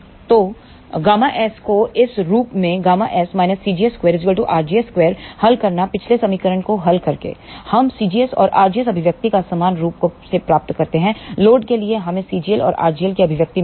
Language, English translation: Hindi, So, solving for gamma s in the form of gamma s minus c gs square is equal to r gs square by solving the previous equation we get c gs and r gs expression similarly, for load we get expressions for c g l and r g l